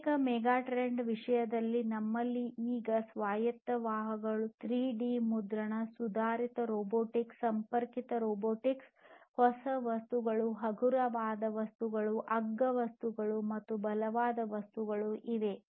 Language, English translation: Kannada, So, in terms of the physical megatrends, we have now autonomous vehicles, 3D printing, advanced robotics, connected robotics, new materials, lightweight materials, cheaper materials, stronger materials and so on